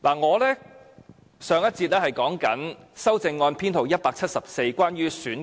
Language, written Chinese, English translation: Cantonese, 我珍惜時間，繼續就修正案編號174發言。, I will not waste time and I will now continue with Amendment No . 174